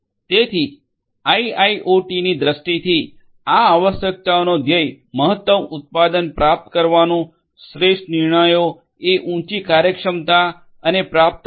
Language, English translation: Gujarati, So, so from a IIoT view point these requirements will aim to achieve greater production optimized decisions will be possible with higher efficiency and availability